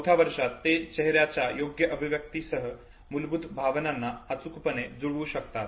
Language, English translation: Marathi, In the fourth year they can accurately match the basic emotions with the correct corresponding facial expression, okay